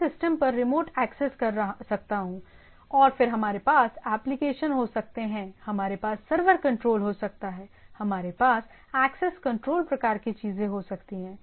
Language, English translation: Hindi, So, I can have a remote access to the systems by, and then we can have applications, we can have server control, we can have access control type of things